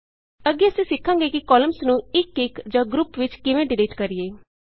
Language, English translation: Punjabi, Next we will learn about how to delete Columns individually and in groups